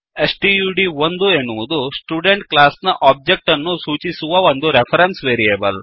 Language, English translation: Kannada, stud1 is a reference variable referring to one object of the Student class